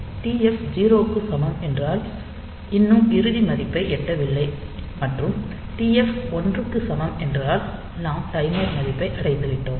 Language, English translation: Tamil, So, TF equal to 0; so, we have not yet reached the final value and TF equal to 1 means we have reached the timer value